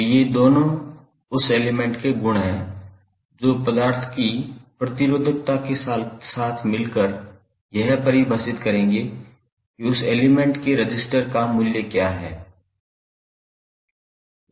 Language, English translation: Hindi, So, this 2 are the properties of that element with the resistivity of the material will define, what is the value of resistances of that element